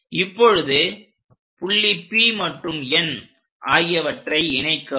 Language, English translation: Tamil, Now, join P point and N point